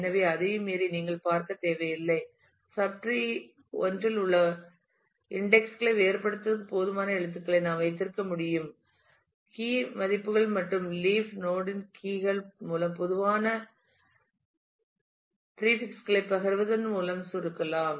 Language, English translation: Tamil, So, you do not need to look beyond that so, we can just keep enough characters to distinguish entries in the subtree separated I by the key values and keys in the leaf node can be compressed by sharing common prefixes